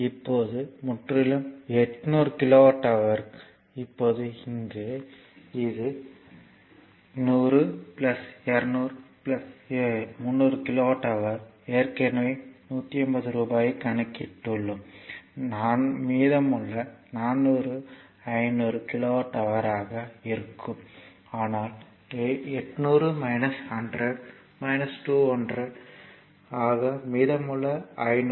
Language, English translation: Tamil, Now, totally is your 800 kilowatt hour, now here it is 100 plus, 200, 300 kilowatt hour already we have computed rupees 150 and 400 remaining will be 500 kilowatt hour , but the 800 minus 100 minus 200 so, remaining 500